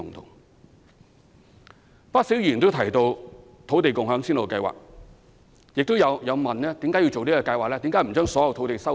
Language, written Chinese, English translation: Cantonese, 有不少議員提到土地共享先導計劃，亦問及為何要進行這計劃？, Many Members have mentioned the Land Sharing Pilot Scheme and questioned why this Scheme should be implemented